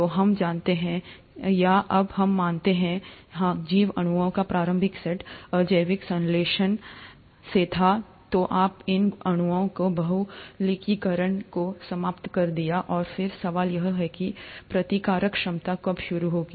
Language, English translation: Hindi, So, we do know, or we do now believe that yes, the initial set of biological molecules were from abiotic synthesis, then you ended up having polymerization of these molecules, and then the question is, ‘When did the replicative ability begin’